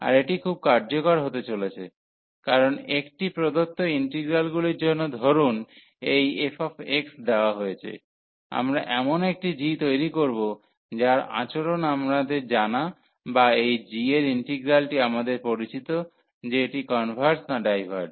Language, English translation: Bengali, And this is going to be very useful, because for a given integrals suppose this f x is given we will construct a g whose a behaviour is known or that the integral over this g is known whether it converges or diverges